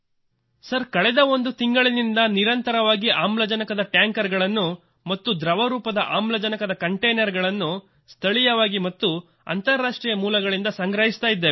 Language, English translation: Kannada, Sir, from the last one month we have been continuously lifting oxygen tankers and liquid oxygen containers from both domestic and international destinations, Sir